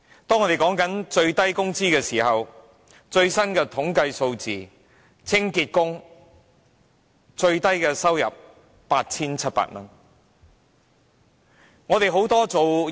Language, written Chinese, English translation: Cantonese, 當我們談到最低工資時，最新的統計數字顯示清潔工人的收入最低是 8,700 元。, As we talk about the minimum wage the latest statistics show that the lowest income of cleaners is 8,700